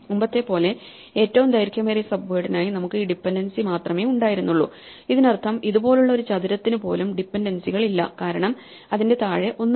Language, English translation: Malayalam, So, earlier we had for longest common subword we had only this dependency this mean that even a square like this had no dependencies because there is nothing to its bottom right